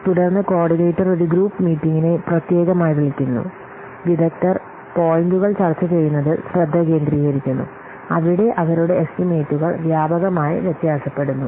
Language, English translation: Malayalam, Then the coordinator calls a group meeting, especially focusing on having the experts, discuss points where their estimates varied widely